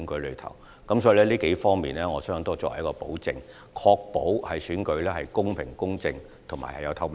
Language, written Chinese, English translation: Cantonese, 因此，我相信這多方面可以作為一種保證，確保選舉公平公正，而且具有透明度。, I therefore believe all these would serve as a guarantee to ensure that the elections are fair just and transparent